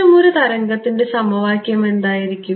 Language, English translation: Malayalam, What is the equation for such a wave